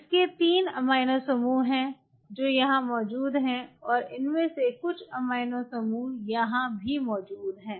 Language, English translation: Hindi, It has 3 of these amino groups which are present here also few of these amino groups present here also